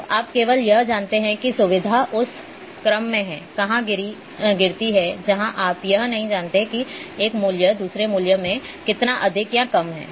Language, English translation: Hindi, So, you only know where the feature falls in the order you do not know how much higher or lower a value is than another value